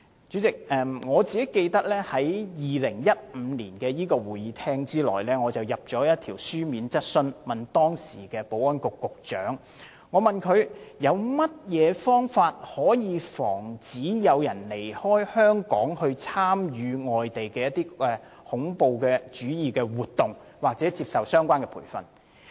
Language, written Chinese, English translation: Cantonese, 主席，我記得我曾於2015年的立法會會議上提出一項書面質詢，詢問當時的保安局局長有何方法防止有人離開香港，前往外地參與恐怖主義活動或接受相關培訓。, President I remember that I raised a written question at a meeting of the Legislative Council in 2015 asking the former Secretary for Security how to prevent people from leaving Hong Kong to participate in terrorist activities or receive terrorist training overseas